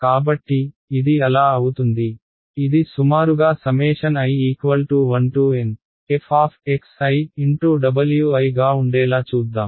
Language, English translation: Telugu, So, this will become so, let us get this is approximately i is equal to 1 to N f of x i w i